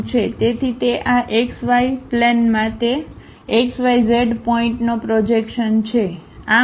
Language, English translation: Gujarati, So, it is a projection of of that point x y z to this x y plain